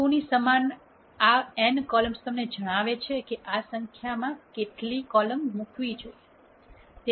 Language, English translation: Gujarati, This n columns equal to 2 tells you how many columns this number should be put in